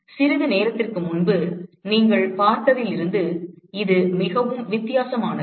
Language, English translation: Tamil, It is very different from what you would have seen a short while ago